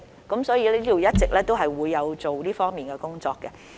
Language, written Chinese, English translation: Cantonese, 因此，當局一直有進行這方面的工作。, Therefore the authorities have been making efforts in this regard